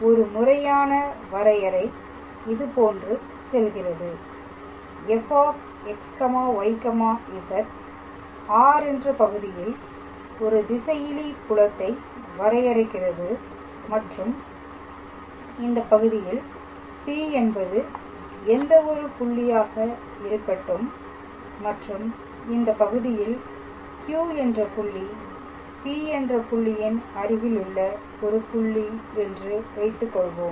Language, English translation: Tamil, So, the formal definition goes like this let f x, y, z defines a scalar field in a region R and let P be any point in this region and suppose Q is a point in this region in the neighbourhood of the point P in the direction of a given unit vector